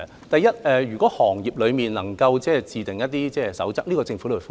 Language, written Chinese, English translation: Cantonese, 第一，如果行業內能夠自訂一些守則，政府也歡迎。, First the Government welcomes codes of practice formulated by the industry on its own